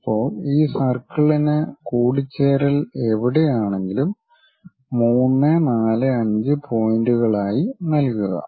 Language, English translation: Malayalam, Now, wherever these intersections are there with the circle name them as 3, 4, 5 points for the circle